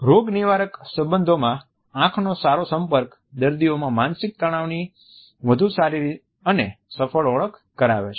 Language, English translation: Gujarati, In therapeutic relationships a good eye contact is associated with a better and more successful recognition of psychological distresses in patients